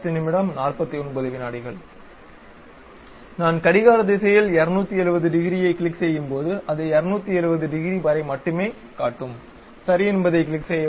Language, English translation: Tamil, When I click 270 degrees in the clockwise direction, it showed only up to 270 degrees and click Ok